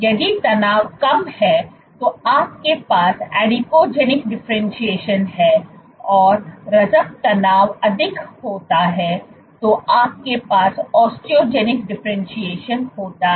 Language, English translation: Hindi, Lower the tension, if you lower the tension your osteogenic differentiation drops, if you load the tension then you are Adipogenic differentiation increases